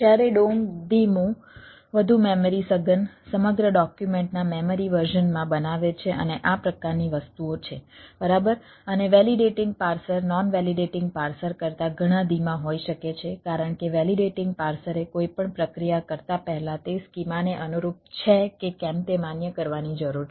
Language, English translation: Gujarati, and validating can be much slower than non validating parser because validating parser need to validate whether it is conformed to the schema before doing any processes